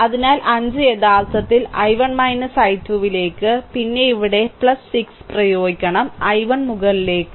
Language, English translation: Malayalam, So, 5 into actually i 1 minus i 2, then here you have to apply plus 6, i 1 is up downward it is upward